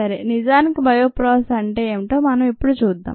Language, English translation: Telugu, so let us look at what actually a bioprocess is